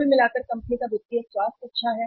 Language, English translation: Hindi, Overall financial health of the company is good